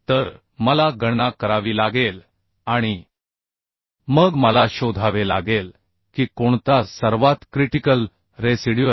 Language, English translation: Marathi, so I have to calculate and then I have to find out which one will be the most critical one